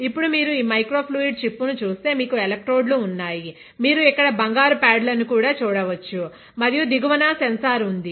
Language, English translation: Telugu, Now if you look at this microfluidic chip, you have the electrodes, you can see gold pads here right; and there is a sensor at the bottom